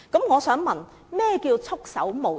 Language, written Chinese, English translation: Cantonese, 我想問局長，何謂"束手無策"？, I want to ask the Secretary what does the phrase having her hands tied mean?